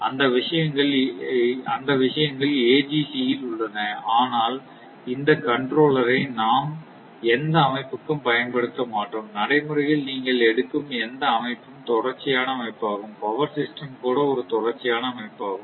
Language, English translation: Tamil, So, those things are there in AGC, but we will not consider even this controller also for any system; any any any any any system you take in reality, basically all systems are continuous system, even power system itself is a continuous system